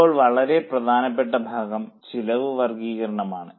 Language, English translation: Malayalam, Now, very important part that is cost classification